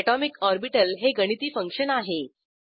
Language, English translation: Marathi, An atomic orbital is a mathematical function